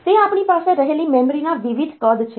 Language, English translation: Gujarati, They are the different sizes of the memory that we have